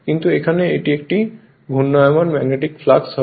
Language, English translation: Bengali, But here it is a rotating your what you call magnetic flux